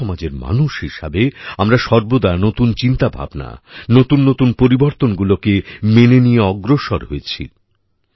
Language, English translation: Bengali, As a society, we have always moved ahead by accepting new ideas, new changes